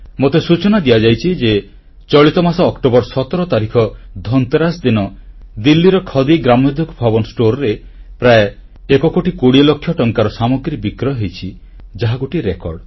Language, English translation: Odia, You will be glad to know that on the 17th of this month on the day of Dhanteras, the Khadi Gramodyog Bhavan store in Delhi witnessed a record sale of Rupees one crore, twenty lakhs